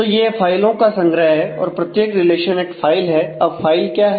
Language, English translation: Hindi, So, it is a collection of files every relation is a file